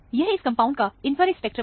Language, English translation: Hindi, This is a infrared spectrum of the compound